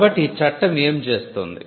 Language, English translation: Telugu, So, what does this regime do